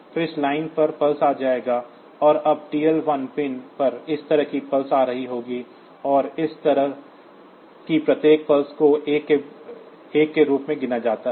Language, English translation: Hindi, So, pulses will be coming on this line so, and now the pulses will be coming like this on the TL 1 pin and on each such pulse is counted as a 1